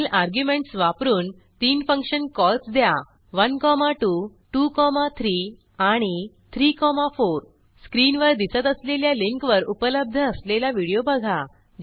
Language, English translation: Marathi, Make 3 function calls with arguments (1, 2), (2, 3) and (3, 4) Watch the video available at the link shown below